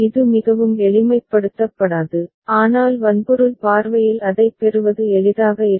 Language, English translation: Tamil, It will not be more simplified, but from hardware point of view it will be easier to get